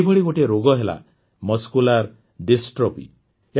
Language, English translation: Odia, One such disease is Muscular Dystrophy